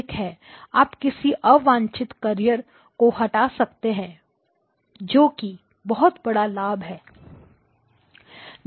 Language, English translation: Hindi, You can choose to omit certain carriers which are undesirable okay that is a huge advantage